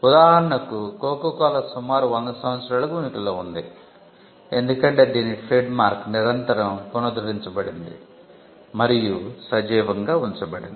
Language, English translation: Telugu, For instance, Coca Cola has been in existence for about 100 years, because it has been constantly it renewed the trademark has been constantly renewed and kept alive